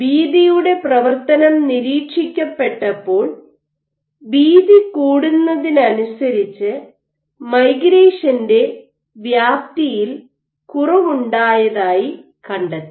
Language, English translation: Malayalam, So, what the observed is a function of width was as the width increased there was a drop in the extent of migration